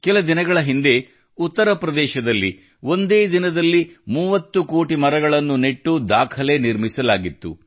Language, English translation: Kannada, A few days ago, in Uttar Pradesh, a record of planting 30 crore trees in a single day has been made